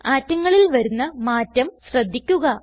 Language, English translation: Malayalam, Observe the change in the atoms